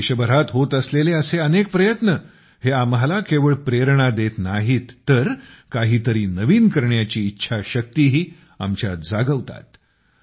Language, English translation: Marathi, Many such efforts taking place across the country not only inspire us but also ignite the will to do something new